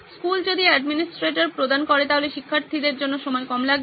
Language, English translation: Bengali, If the school provides the administrator, it is less time consuming for the students